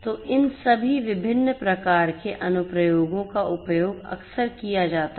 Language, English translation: Hindi, So, all of these different types of applications are often used